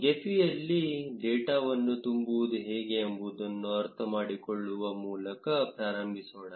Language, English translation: Kannada, Let us begin by understanding how to load data in gephi